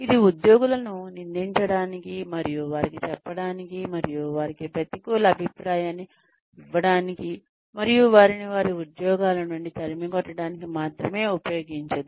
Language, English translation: Telugu, It does not only use this to blame employees, and tell them, and give them, negative feedback, and throw them out of their jobs